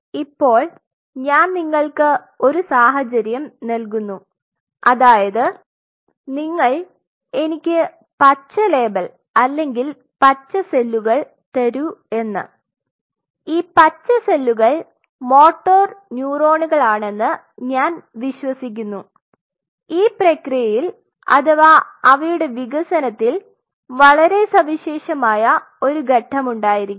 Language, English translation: Malayalam, Now, I give you a situation I said you give me the green label or green cells and I believe these green cells are say motor neurons and this process and their development may be a very unique phase